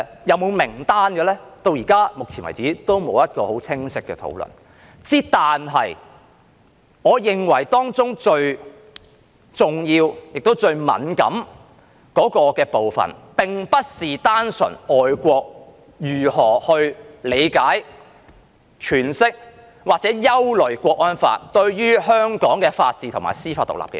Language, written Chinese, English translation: Cantonese, 有否名單呢？截止目前為止，仍然沒有一個很清晰的討論；但我認為當中最重要及最敏感的部分並非純粹外國如何理解、詮釋或憂慮《香港國安法》對香港法治及司法獨立的影響。, So far there has not been clear discussion yet but I think the most important and most sensitive part is not simply about how overseas countries will understand interpret or worry about the impact of the Hong Kong National Security Law on the rule of law and judicial independence in Hong Kong